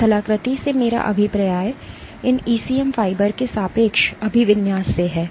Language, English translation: Hindi, What I mean by topography is the relative orientation of these ECM fibers